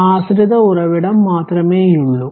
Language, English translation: Malayalam, So, only dependent source is there